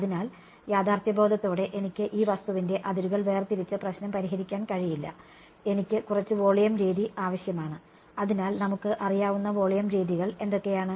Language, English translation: Malayalam, So, realistically I cannot just discretize the boundary of this object and solve the problem, I need some volume method either so, what are the volume methods that we know of